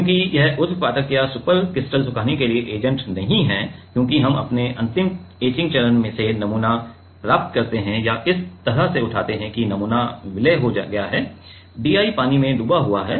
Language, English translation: Hindi, Because, this is not the agent for sublimation or supercritical drying this is there, because we get the sample from the our last etching step or lift off step like that the sample is merged, submerged into the DI water